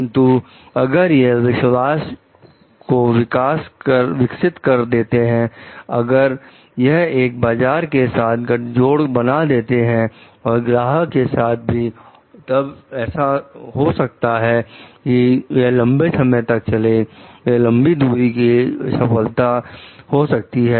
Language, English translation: Hindi, So, but if it develops a trust, if it develops a bond with the market and with the customers, they it may so happen like it will lead to a long term, like the long range success